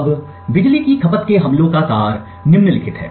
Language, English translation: Hindi, Now the essence of power consumption attacks is the following